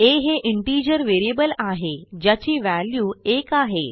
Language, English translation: Marathi, Here, I have taken an integer variable a that holds the value 1